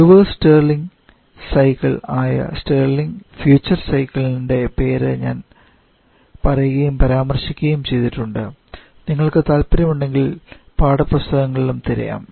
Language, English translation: Malayalam, And i have told and mention the name of the Starling future cycle, which is the reverse Starling cycle, if you are interested you can search in the books for the same as well